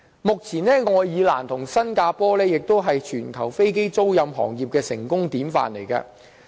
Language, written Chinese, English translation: Cantonese, 目前，愛爾蘭和新加坡同為全球飛機租賃行業的成功典範。, Currently both Ireland and Singapore are two successful giants in aircraft leasing business